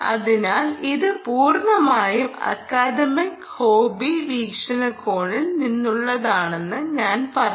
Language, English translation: Malayalam, so i would say that this is purely from an academic perspective and also from a hobby perspective